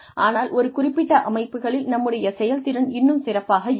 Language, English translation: Tamil, But, in certain settings, our performance tends to get better